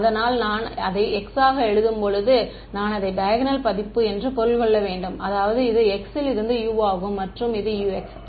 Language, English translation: Tamil, So, when I write it as capital X I mean it as the diagonal version; that means, so this is capital X into u and this is capital U into x ok